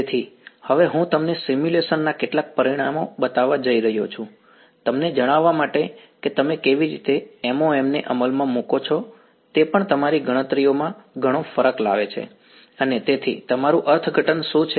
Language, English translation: Gujarati, So, I am going to show you some results of simulations now, to tell you that how you implement the MoM also makes a huge difference in your calculations and therefore, what is your interpretation